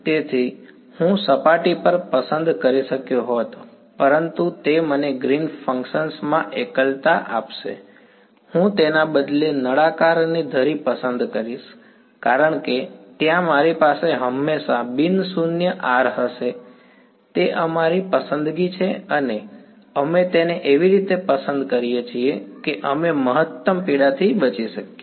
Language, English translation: Gujarati, So, I could have chosen on the surface, but that would I given me a singularity in Green’s function, I choose instead the axis of the cylinder because there I will always a have non zero capital R; it is our choice and we choose it in a way that we get to avoid maximum pain fine ok